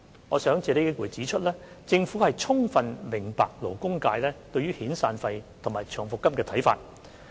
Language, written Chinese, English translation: Cantonese, 我想借此機會指出，政府充分明白勞工界對遣散費及長期服務金的看法。, I would like to take this opportunity to say that the Government fully understands the labour sectors views on severance payments and long service payments